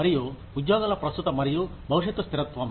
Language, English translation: Telugu, And, the current and future stability of jobs